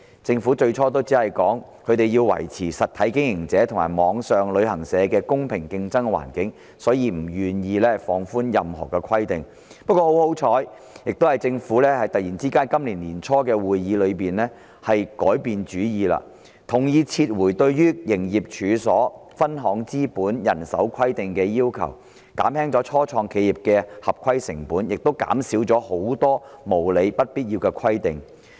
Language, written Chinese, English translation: Cantonese, 政府最初只表示要維持實體經營者及網上旅行社的公平競爭環境，所以不願意放寬任何規定；幸而政府突然在今年年初的會議上改變主意，同意撤回對"營業處所"、"分行資本"及"人手規定"的要求，減輕了初創企業的合規成本，亦減少了很多無理及不必要的規定。, Initially the Government was unwilling to relax the requirement for the reason that it had to maintain a level playing field between operators with physical presence and online travel agents . Luckily at a meeting held early this year the Government suddenly changed its mind and agreed to withdraw the requirements on premises branch capital and staffing thus lowering the compliance costs for start - ups and reducing many unreasonable and unnecessary requirements